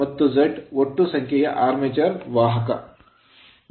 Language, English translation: Kannada, And Z total number of armature conductors right